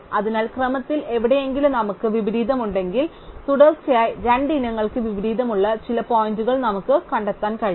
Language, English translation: Malayalam, So, whenever we have an inversion anywhere in the sequence, we can find some point where two consecutive items have an inversion